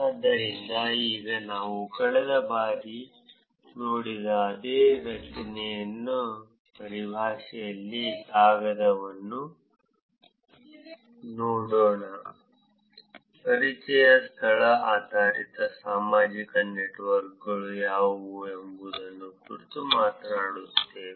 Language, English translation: Kannada, So, now let us look at the paper in terms of the same structure as we saw last time, introduction, talking about what a location based social networks are